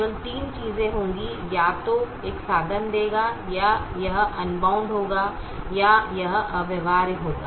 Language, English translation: Hindi, only three things can happen: it is either feasible or unbounded, or infeasible